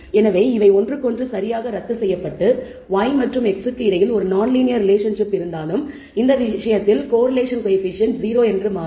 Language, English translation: Tamil, So, these will cancel each other out exactly and will turn out that the correlation coefficient in this case is 0 although there is a non linear relationship between y and x